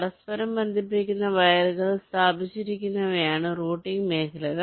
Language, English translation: Malayalam, routing regions are those so which interconnecting wires are laid out